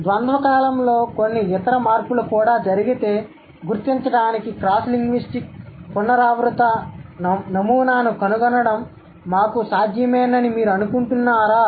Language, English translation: Telugu, And do you think it's possible for us to find out a cross linguistic recurrent pattern to identify if some other changes have also happened in the due course of time